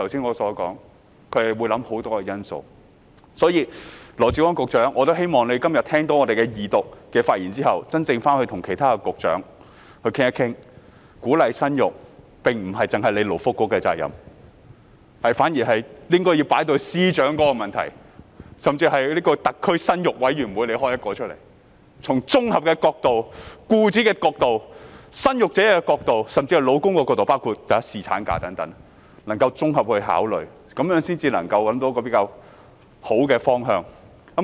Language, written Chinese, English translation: Cantonese, 我希望羅致光局長今天聽到議員的二讀發言之後，回去與其他局長討論一下，鼓勵生育不單是勞工及福利局的責任，而應是司長應該要處理的問題，甚至應該成立一個"特區生育委員會"，從僱主、生育者甚至丈夫的角度，綜合考慮包括侍產假等因素，這樣才能夠找到一個比較好的方向。, I hope that after listening to Members speeches on the Second Reading today Secretary Dr LAW Chi - kwong will go back to discuss with other Secretaries the idea that encouragement of childbirth is not the sole responsibility of the Labour and Welfare Bureau but rather an issue to be dealt with by the Chief Secretary for Administration who should even set up a Committee on Childbirth of the Special Administrative Region to comprehensively consider various factors including paternity leave from the perspectives of employers child bearers and even husbands . Only in this way can we find a better direction